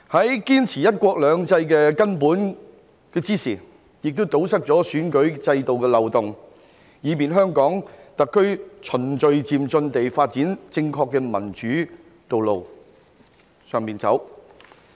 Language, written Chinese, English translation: Cantonese, 在堅持"一國兩制"這個根本的同時，亦堵塞了選舉制度的漏洞，以便香港特區循序漸進地發展正確的民主道路，並在這條道路上走。, While upholding the fundamental principle of one country two systems it would also plug the loopholes of the electoral system to facilitate HKSAR to develop the right path of democracy in a gradual and orderly manner and to make progress on this path